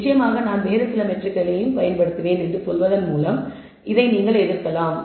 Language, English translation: Tamil, Of course, you can counter by saying I will use some other metric maybe I should have used absolute value